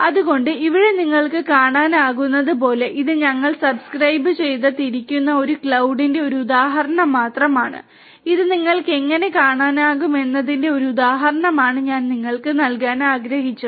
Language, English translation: Malayalam, So, here as you can see this is just an instance of this cloud that we are subscribe to and I just wanted to give you and a instance of how it looks like